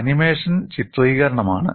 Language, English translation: Malayalam, Look at the animation